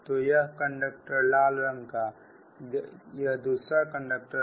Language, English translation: Hindi, so this is one conductor, that red red one